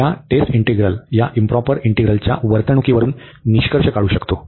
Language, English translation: Marathi, We can conclude from the behavior of this improper integral this test integral